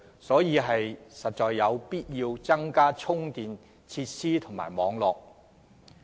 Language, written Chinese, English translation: Cantonese, 因此，當局實有必要增加公共充電設施和網絡。, It is therefore necessary for the Government to provide more public charging facilities and expand the charging network